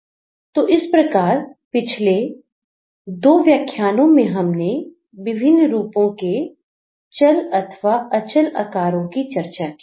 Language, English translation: Hindi, So, in the previous two lectures we have been basically discussing the different forms in its static and movable formation